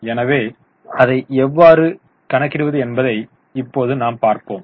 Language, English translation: Tamil, So, we have just seen how to calculate it